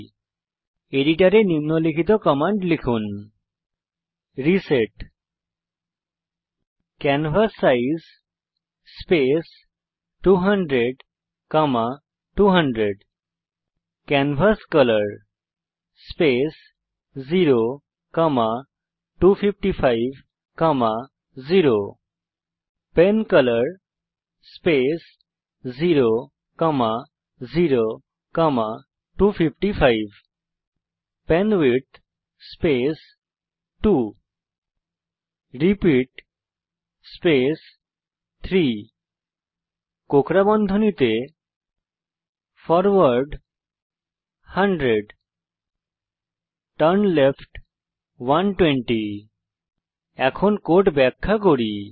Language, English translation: Bengali, Type the following commands into your editor: reset canvassize space 200,200 canvascolor space 0,255,0 pencolor space 0,0,255 penwidth space 2 repeat space 3 within curly braces { forward 100 turnleft 120 } Let me now explain the code